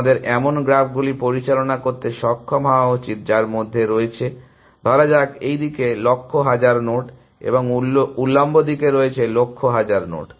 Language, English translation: Bengali, We should be able to handle such graphs which have, let us say hundred thousand nodes in this direction and hundred thousand nodes in the vertical direction